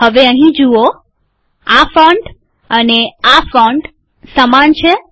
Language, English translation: Gujarati, See this now, now this font and this font are identical